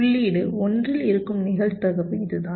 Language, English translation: Tamil, this is the probability that the input will be at one